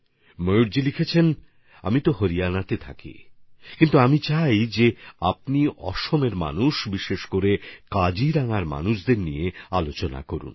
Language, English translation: Bengali, Mayur ji has written that while he lives in Haryana, he wishes us to touch upon the people of Assam, and in particular, the people of Kaziranga